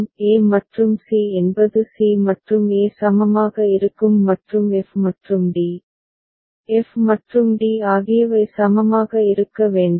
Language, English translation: Tamil, e and c that is c and e will be equivalent and f and d, f and d need to be equivalent ok